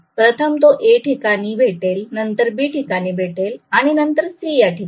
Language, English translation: Marathi, First it will meet with A, next it will meet with B, next it will meet with C